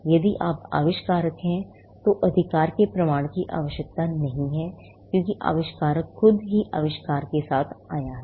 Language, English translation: Hindi, If you are inventor, there is no need for a proof of right, because, the inventor itself came up with the invention